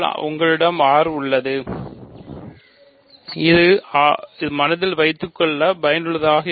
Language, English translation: Tamil, We have R so, this is useful to keep in mind